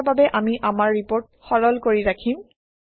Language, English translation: Assamese, For now, let us keep our report simple